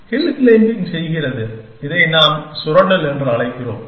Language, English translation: Tamil, Hill climbing does, what we will call as exploitation